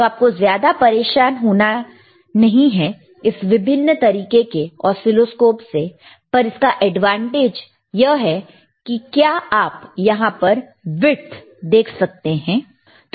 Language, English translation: Hindi, So, so do n ot worry about the about the kind of oscilloscopes, but, but the advantage here is, if I, if you can just zoom that is good